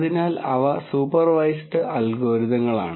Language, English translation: Malayalam, So, those are supervised algorithms